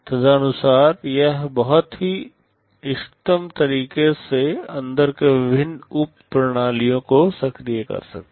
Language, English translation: Hindi, Accordingly it can activate the various subsystems inside in a very optimum way